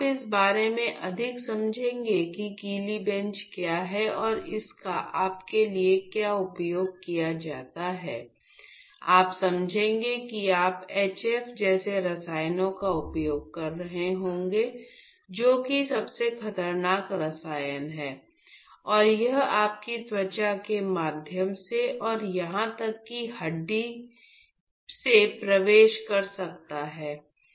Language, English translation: Hindi, So, you will understand more about what wet bench is and what is it used for you would understand that you would be using chemicals like HF, which is the most dangerous chemical the man has ever known and it could it could penetrate as through your skin and even into the bone